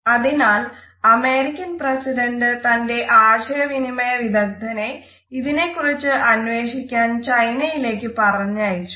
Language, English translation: Malayalam, So, immediately the US President send his communication consultant to China in order to find out the reason behind it